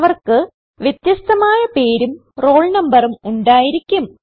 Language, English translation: Malayalam, They have different roll numbers and names